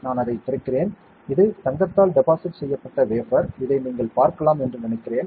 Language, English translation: Tamil, So, I am opening it and this is the wafer which is deposited with gold, I think you can see it